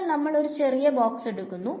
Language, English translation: Malayalam, So, let us take a small box